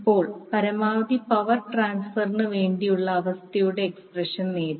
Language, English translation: Malayalam, So, now for maximum power transfer condition you got to expression for the condition